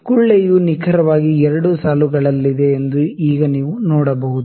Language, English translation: Kannada, Now you can see the bubble is exactly in the 2 lines, ok